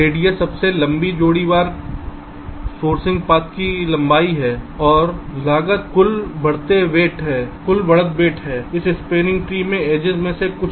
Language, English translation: Hindi, radius is the length of the longest pair wise sourcing path, and cost is the total edge weight, some of the edges in this spanning tree